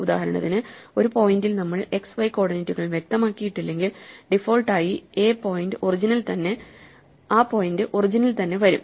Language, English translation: Malayalam, So, for instance, if you want to say that if we do not specify the x and y coordinates over a point then by default the point will be created at the origin